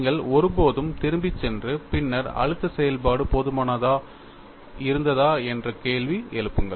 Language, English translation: Tamil, You never go back and then question, whether the stress function was reasonably good enough